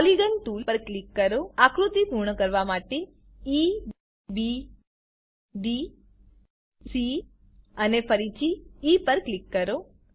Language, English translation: Gujarati, Click on Polygon tool, click on the points E, B, D, C and E again to complete the figure